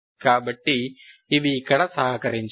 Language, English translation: Telugu, So they won't contribute here